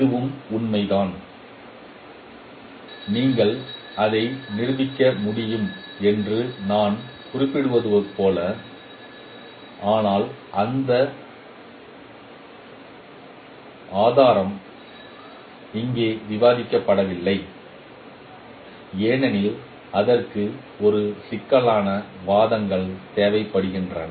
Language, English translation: Tamil, This is also true as we as I mentioned that you can prove it but that proof is not discussed here because it requires a complex arguments